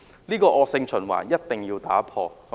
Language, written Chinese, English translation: Cantonese, 所以，這惡性循環一定要打破。, Therefore this vicious circle must be broken